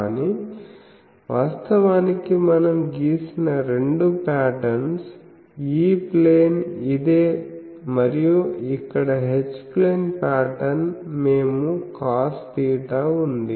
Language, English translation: Telugu, But actually I will say that the 2 patterns we have drawn, E plane is this and H plane pattern here we have made a cos theta thing